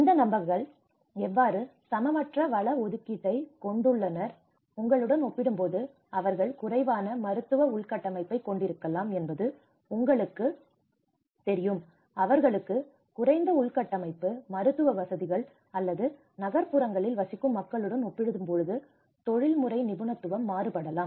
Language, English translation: Tamil, How these people have an unequal resource allocation, you know they might be having a less medical infrastructure compared to you know they have a less infrastructure, medical facilities or the professional expertise compared to the people who are living in urban areas